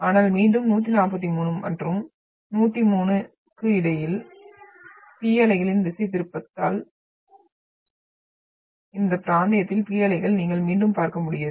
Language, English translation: Tamil, But again between 143 and 103, because of the deflection of the P waves, you will again not be able to see the P waves in this region